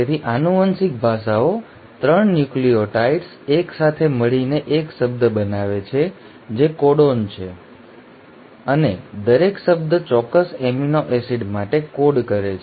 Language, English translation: Gujarati, So the genetic languages, the 3 nucleotides come together to form one word which is the codon and each word codes for a specific amino acid